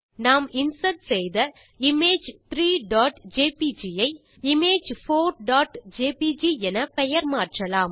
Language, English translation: Tamil, Lets rename the image Image 3.jpg, that we inserted in the file to Image4.jpg